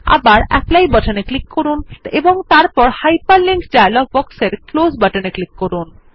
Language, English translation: Bengali, Again click on the Apply button and then click on the Close button in the Hyperlink dialog box